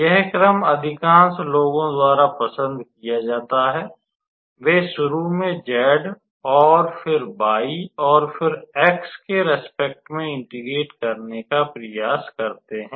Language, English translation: Hindi, So, this is the order which is preferred by a most of the people, so they initially try with integrating with respect to z, and then y, and then x